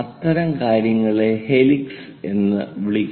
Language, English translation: Malayalam, The other ones are helix